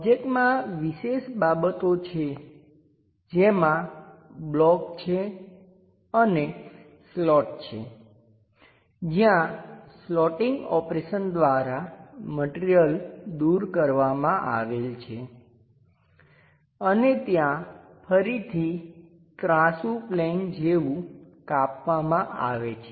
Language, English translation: Gujarati, The object have particular features something like a block and something like a slot where material is removed bycreating slotting kind of operation and there is something like an inclined plane again cut